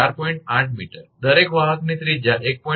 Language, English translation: Gujarati, 8 meter, radius of each conductor is 1